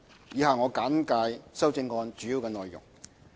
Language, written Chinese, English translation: Cantonese, 以下我簡介修正案主要的內容。, I now give a brief overview of the amendments